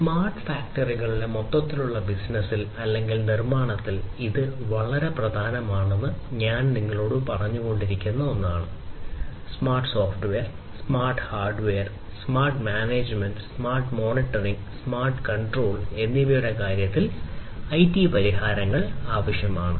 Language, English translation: Malayalam, IT is something that I was also telling you, that it is very important in this overall business of or building smart factories, we need IT solutions in terms of smart software, smart hardware, smart management, smart monitoring, smart control